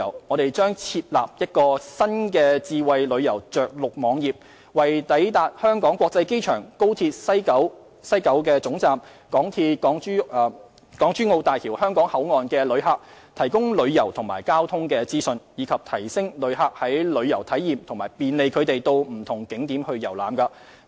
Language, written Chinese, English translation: Cantonese, 我們將設立一個新的智慧旅遊着陸網頁，為抵達香港國際機場、高鐵西九龍總站及港珠澳大橋香港口岸的旅客，提供旅遊及交通資訊，以提升旅客的旅遊體驗和便利他們到不同景點遊覽。, A new smart tourism landing web page will be set up to provide tourism and transport information for arrivals at the Hong Kong International Airport the West Kowloon Station of XRL and the Hong Kong Boundary Crossing Facilities of HZMB with a view to enriching the tourism experience for our visitors and facilitating their access to various tourist attractions